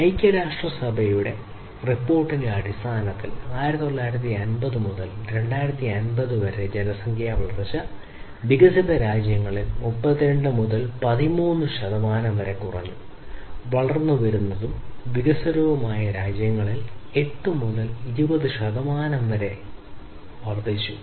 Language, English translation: Malayalam, So, based on the United Nations report the population growth is from 1950 to 2050, reduced between 32 percent to 13 percent in developed countries and increased between 8 to 20 percent in emerging and developing countries